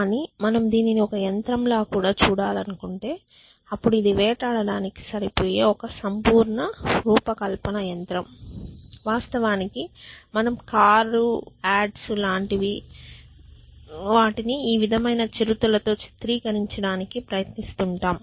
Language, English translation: Telugu, And if you want to call it a machine is a perfectly design machine for hunting its it can in fact, you know you get to see car adds which kind of try to portrait them as cheetahs and stuff like that